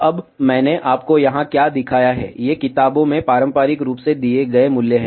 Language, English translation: Hindi, Now, what I have shown you here, these are the values given conventionally in the books